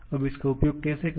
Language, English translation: Hindi, Now how to make use of